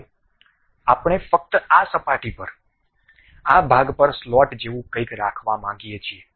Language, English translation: Gujarati, Now, we would like to have something like a slot on this portion, on this surface only